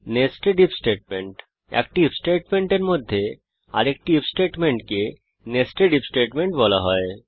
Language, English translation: Bengali, Nested if statements, An If statement within another if statement is called a nested if statement